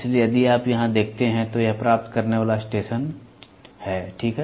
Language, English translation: Hindi, So, if you see here, it is the receiving station, ok